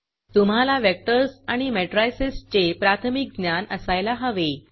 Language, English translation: Marathi, You should have Basic knowledge about Vectors and Matrices